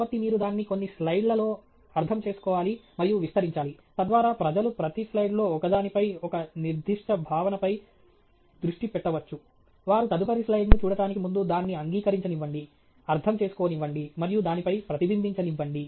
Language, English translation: Telugu, So, you should understand and spread it out across a few slides, so that people can focus on one a specific concept in each slide, accept it, understand it, and reflect on it, before they see the next slide